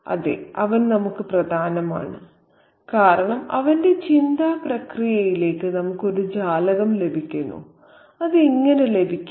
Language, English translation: Malayalam, Yes, he is important to us because we get a window into his thought process and how do we get that